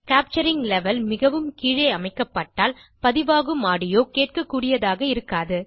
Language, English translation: Tamil, If the capturing level is set too low, the captured audio may not be heard